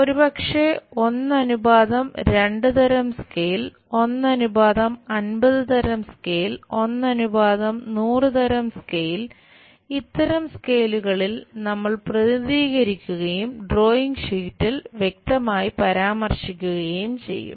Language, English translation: Malayalam, Maybe 1 is to 24 kind of scale, 1 is to 50, 1 is to 100 such kind of scales we will represent and clearly mention it on the drawing sheet